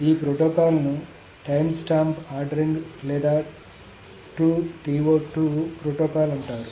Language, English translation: Telugu, So this protocol is called the timestamp ordering or the T